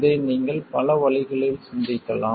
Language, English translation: Tamil, You can think of this in many different ways